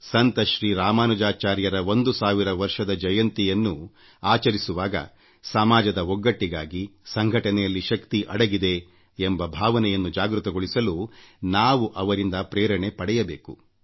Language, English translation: Kannada, Now that we are celebrating the 1000th birth anniversary of Ramanujacharya, we should gain inspiration from him in our endeavour to foster social unity, to bolster the adage 'unity is strength'